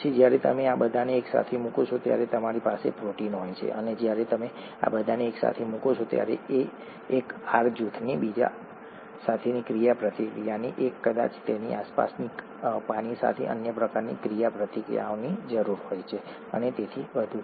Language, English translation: Gujarati, Then when you put all these together you have the protein and when you put all these together, there is a need for interaction of one R group with the other and probably other kinds of interactions with the water around it and so on so forth